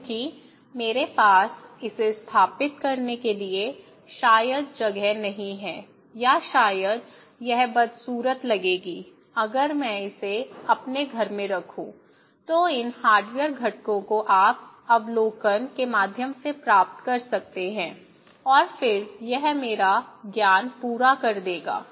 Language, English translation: Hindi, Because I do not have maybe space to install it or maybe it would look ugly if I put it into in my house so, these hardware components you can only get through observation, okay and then it would complete my knowledge